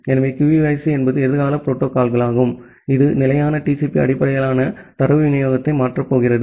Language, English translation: Tamil, So, possibly QUIC is the future protocol which is going to replace the standard TCP based data delivery